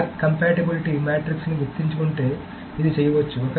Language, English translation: Telugu, So if one remembers the log compatibility matrix, then this can be done